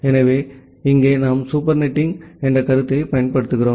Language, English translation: Tamil, So, here we apply the concept of supernetting